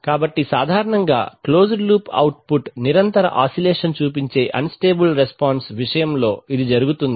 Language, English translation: Telugu, So usually, this is typically what happens when in an, in case of an unstable response that the closed loop output shows sustained oscillation